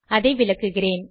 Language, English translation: Tamil, I will explain it